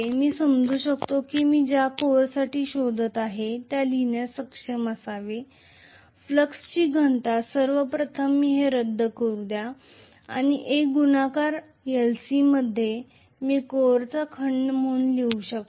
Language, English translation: Marathi, Let me assume maybe the flux density whatever I am looking at for the core I should be able to write, first of all let me cancel these and A into l c I can write as the volume of the core, right